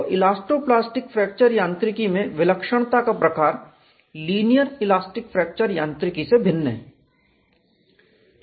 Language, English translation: Hindi, So, the kind of singularity in the case of elasto plastic fracture mechanics is different from linear elastic fracture mechanics